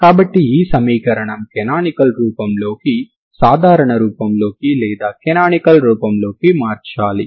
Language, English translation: Telugu, So this is the equation into canonical form into normal form or a canonical form